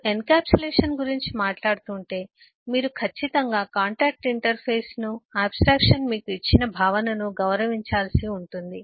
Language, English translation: Telugu, if you are talking of eh encapsulation, you will certainly have to honor the contractual interface, the abstraction, the concept that the abstraction has given you